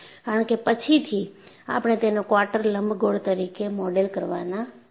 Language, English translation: Gujarati, Because, later, we are going to model it as a quarter ellipse